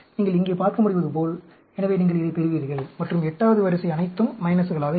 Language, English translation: Tamil, As you can see here, so, you get this; and the 8th row will be all minuses